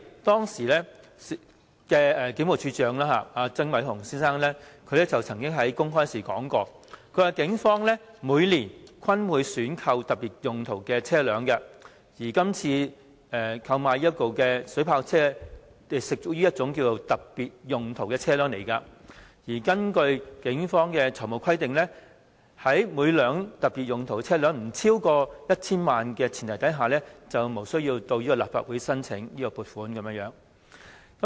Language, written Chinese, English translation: Cantonese, 當時的警務處處長曾偉雄先生曾經公開表示，警方每年均會選購特別用途車輛，而今次購買的水炮車，亦屬特別用途車輛，而根據警方的財務規定，特別用途車輛若每輛不超過 1,000 萬元，便無須向立法會申請撥款。, Mr Andy TSANG the then Commissioner of Police said publicly that the Police acquired specialized vehicles every year and the water cannon vehicles to be procured at that time were also specialized vehicles . According to the financial requirements of the Police if the procurement cost of each specialized vehicle does not exceed 10 million it is not necessary for the funding application to be submitted to the Legislative Council